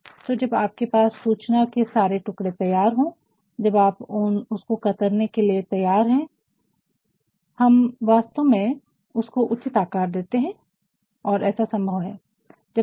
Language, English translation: Hindi, So, when we have all the pieces of information ready, when we have already tailored it now we are actually going to give it a proper safe and that is possible